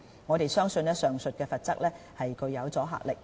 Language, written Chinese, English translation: Cantonese, 我們相信上述罰則具有阻嚇力。, We believe such penalties have a deterrent effect